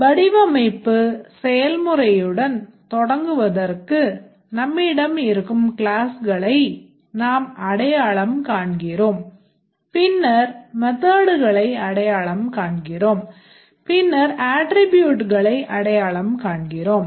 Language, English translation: Tamil, To start with the design process, we identify the classes that exist and later we identify the methods and then we identify the attributes